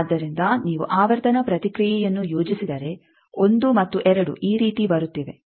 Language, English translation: Kannada, So, if you plot the frequency response you see 1 and 2 are coming like this